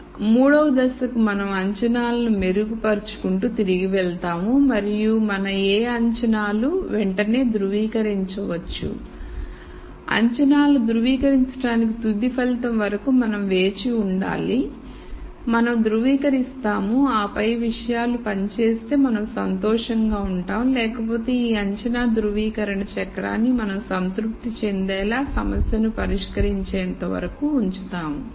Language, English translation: Telugu, So, the step 3 is where we keep going back where we keep re ning our assumptions and what our assumptions can be veri ed right away; we verify whatever assumptions, we have to wait till the final result to verify, we verify, and then if things work out we are happy otherwise we keep this assumption validation cycle till we solve the problem to our satisfaction